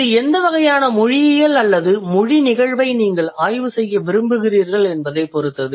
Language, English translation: Tamil, So it depends what kind of linguistic or language phenomenon you want to study